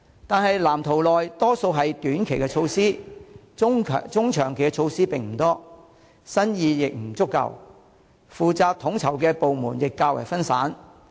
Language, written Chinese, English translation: Cantonese, 可是，藍圖大多數為短期措施，中、長期措施不多，新意亦不足夠，負責統籌的部門亦較分散。, However the Blueprint mostly contains short - term initiatives with few medium - term and long - term initiatives not to mention the lack of innovative ideas and fragmentary division of work among the departments responsible for coordination